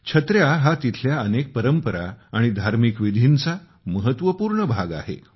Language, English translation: Marathi, Umbrellas are an important part of many traditions and rituals there